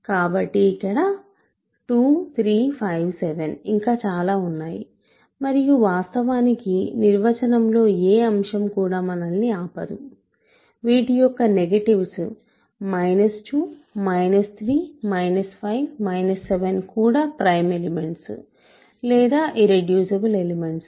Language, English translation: Telugu, So, there are 2, 5, 2, 3, 5, 7 so on and of course, we can also consider nothing in the definition, disallows these allows negatives of these are also prime elements or irreducible elements ok